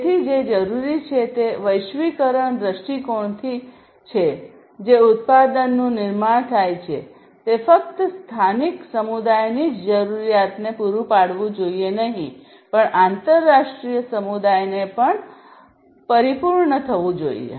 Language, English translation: Gujarati, So, what is required is from the globalization point of view the product that is manufactured should not only cater to the needs of the local community, but also to the international community